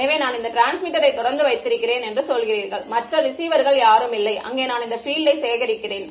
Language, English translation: Tamil, So, you are saying that I keep this transmitter on, none of the other receivers are there and I just collect this field